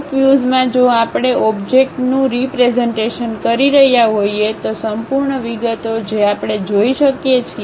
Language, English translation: Gujarati, In top view if we are representing the object, the complete details we can see